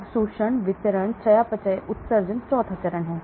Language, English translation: Hindi, So absorption, distribution, metabolism, excretion is the 4th